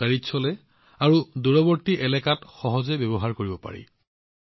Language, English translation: Assamese, It runs on battery and can be used easily in remote areas